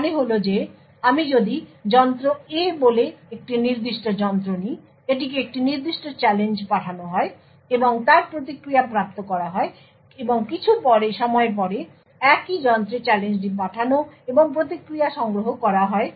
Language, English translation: Bengali, This means that if I take a particular device say device A, send it a particular challenge and obtain its response and after some time send the challenge to the same device and collect the response